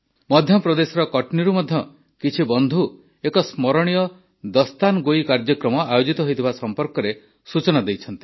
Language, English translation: Odia, Some friends from Katni, Madhya Pradesh have conveyed information on a memorable Dastangoi, storytelling programme